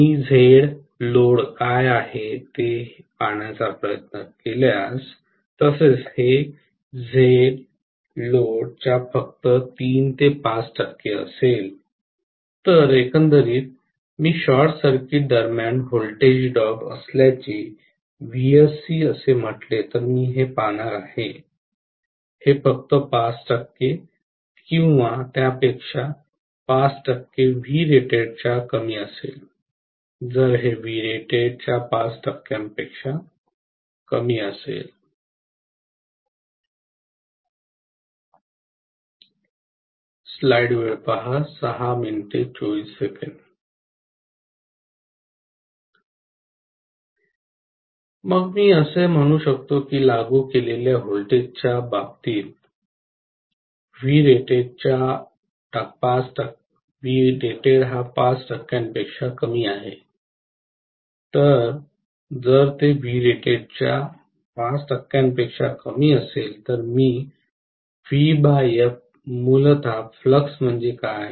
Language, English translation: Marathi, Similarly this will be only about 3 to 5 percent of Z load, so overall, I am going to look at this if I call this as VSE that is the voltage drop during short circuit, this is going to be only about 5percent or less than 5 percent of V rated, if this is going to be less than 5 percent of V rated, Then I can say the voltage applied is equal to less than 5 percent of V rated in which case, so if it is less than 5 percent of V rated, then I am going to have essentially V divided by F that is what is flux